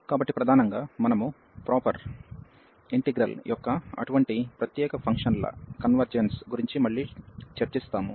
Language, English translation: Telugu, So, mainly we will be discussing again the convergence of such a special functions which are improper integrals